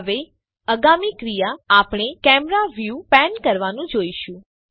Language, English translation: Gujarati, Now, the next action we shall see is panning the camera view